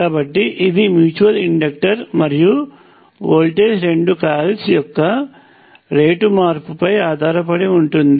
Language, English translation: Telugu, So, this the mutual inductor and the voltage depends on the rate change of both coils